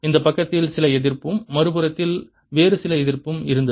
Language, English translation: Tamil, there was some resistance on this side and some other resistance on the other side